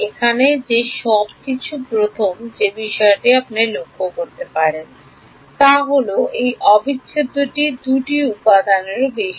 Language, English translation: Bengali, The first thing you can notice is that this integral is over 2 elements